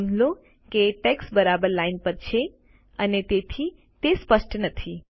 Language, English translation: Gujarati, Notice that the text is placed exactly on the line and hence it is not clear